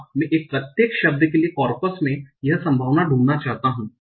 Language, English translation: Hindi, I want to find this probability for each word in the corpus